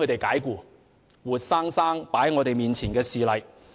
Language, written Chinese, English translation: Cantonese, 這是活生生擺在我們眼前的事例。, This was a real - life incident that happened before our very eyes